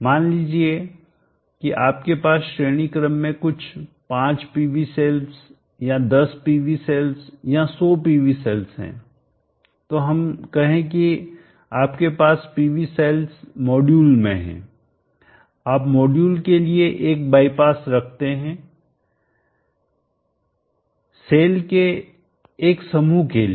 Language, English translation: Hindi, Let us say you have some 5 PV cells, or 10 PV cell or 100 PV cells in the series, so let us say that you have PV cells in the module, you can put a bypass for a module for a cluster of cells in such a case this will work